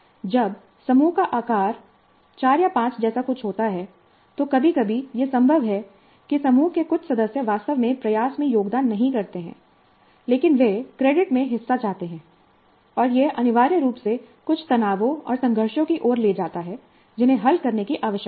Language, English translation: Hindi, When a group size is something like four or five, occasionally it is possible that some of the group members really do not contribute to the effort but they want a share in the credit and this essentially leads to certain tensions and conflicts which need to be resolved